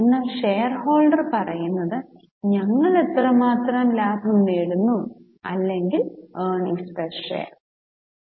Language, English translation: Malayalam, But what shareholders say is how much profit will I get on one share